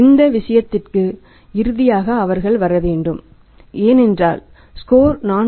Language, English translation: Tamil, In that case finally they have to arrive at because if the score is working out is 4